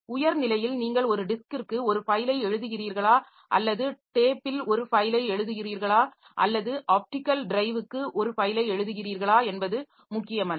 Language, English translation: Tamil, So, at a higher level, so it does not matter whether you are writing a file to a disk or you are writing a file to the tape or you are writing a file to the optical drive because operatives of because they are taken care of by their own device drivers